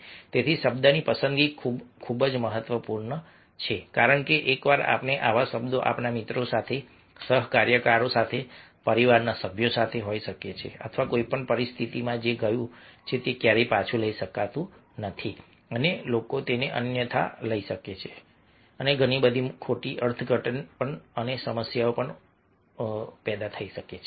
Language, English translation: Gujarati, so choice of words is very, very important because once we utter such words may be with our friends, colleagues, with family members or in any situation what has gone, it can be never taken back and people take it otherwise and lots of misinterpretation and problems and issues come